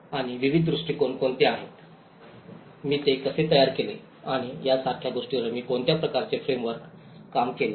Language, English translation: Marathi, And what are the various approaches, how I framed it and what kind of framework I worked on things like that